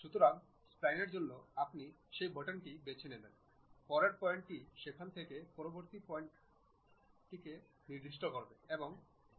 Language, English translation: Bengali, So, for spline you pick that button, next point from next point to next point from there to there and so on